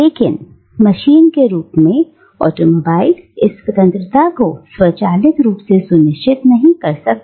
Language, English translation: Hindi, But as a machine automobile does not automatically ensure this freedom